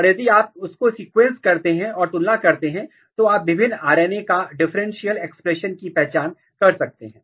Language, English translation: Hindi, And if you sequence them and compare them, you can identify differential expression level of different RNA